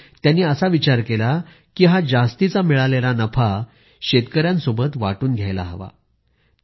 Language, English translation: Marathi, Thus, the company thought of sharing their extra profits with the farmers